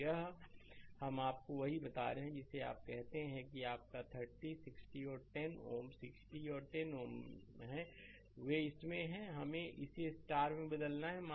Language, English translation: Hindi, So, here we are getting your what you call that your this 30, 60 and 10 ohm 60 and 10 ohm, they are in it is in delta we have to convert it to star right